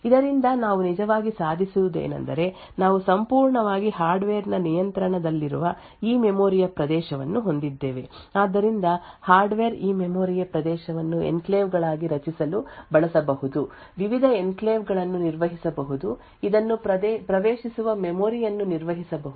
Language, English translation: Kannada, From this what we actually achieve is that we have this region of memory which is completely in the control of the hardware so the hardware could use this region of memory to create enclaves, managed the various enclaves, manage the memory who accesses this enclaves the read write execute permissions for this enclaves and so on